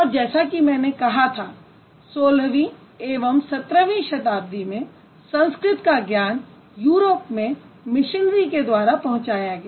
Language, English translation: Hindi, And as I have just mentioned a while ago, knowledge of Sanskrit reached Europe through missionaries in 16th and 17th century